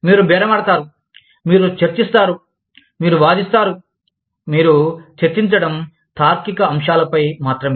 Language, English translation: Telugu, You bargain, you negotiate, you argue, you discuss, only on logical points